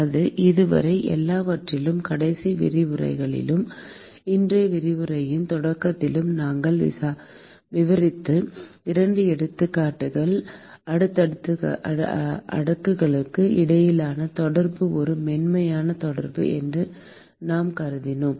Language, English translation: Tamil, So, so far in all the the couple of examples that we described in the last lecture and start of today’s lecture, we assumed that the contact between the slabs is supposed to be a smooth contact